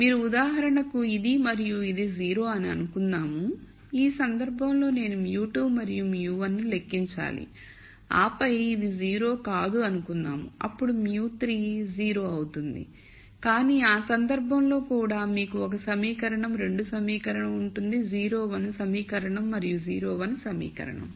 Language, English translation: Telugu, You could for example, assume that this and this are 0 in which case I have to compute mu 2 and mu 1 and then let us say this is not 0 then mu 3 is 0, but in that case also you will have 1 equation, 2 equation this equal to 0 is 1 equation and this equal to 0 is 1 equation